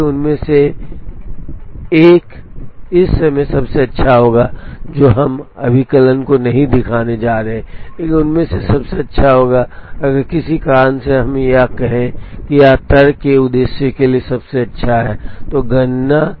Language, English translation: Hindi, So, one of them will be the best at the moment we are not going to show the computation, but one of them will be the best if for some reason let us say that this is the best for the purpose of argument, after the computation